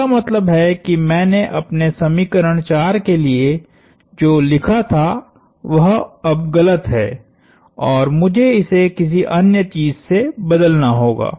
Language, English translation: Hindi, That means what I wrote down for my equation 4 is now wrong and I have to replace it with something else